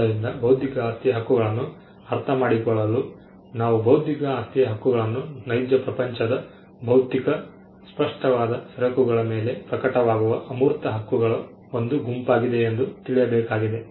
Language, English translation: Kannada, So, to understand into intellectual property rights, we will have to look at intellectual property rights as a set of intangible rights which manifest on real world physical tangible goods